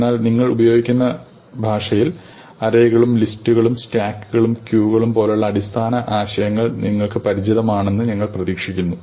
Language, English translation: Malayalam, But we do expect that in the language that you use, you are familiar with basic concepts like arrays and lists and also things like stacks and queues, which build up on these